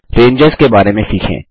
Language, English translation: Hindi, Lets learn about Ranges